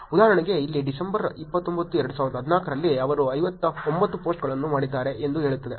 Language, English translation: Kannada, For example, here it says in December 29 2014 they did 59 posts